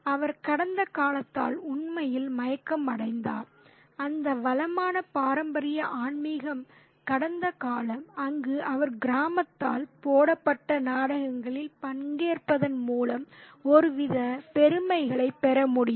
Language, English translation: Tamil, And he is really enchanted by that past, that rich traditional spiritual past where he could also get some kind of glory by participating in the place put up by the village